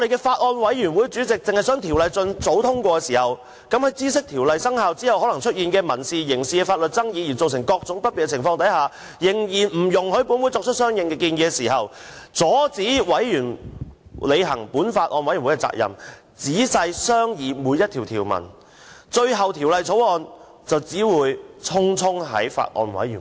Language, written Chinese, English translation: Cantonese, 法案委員會主席只希望盡早通過《條例草案》，即使明知《條例草案》生效後，可能出現民事或刑事法律爭議而引申各種問題，但仍然不容許本會提出相應建議，並阻止法案委員會履行仔細商議《條例草案》條文的責任。, The Chairman of the Bills Committee only wanted the Bill to be passed as soon as possible . Though knowing that various problems might arise from civil or criminal law disputes after the commencement of the Bill she still did not allow members to make corresponding suggestions and hampered the Bills Committee from performing its duties of carefully scrutinizing the provisions of the Bill